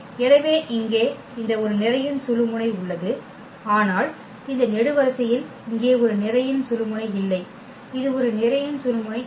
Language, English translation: Tamil, So, this pivot here there is a there is a pivot, but this column does not have a pivot here also it does not have a pivot